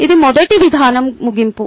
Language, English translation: Telugu, that is end of approach one